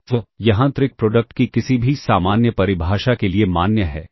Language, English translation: Hindi, So, this is valid for any general definition of the inner product ok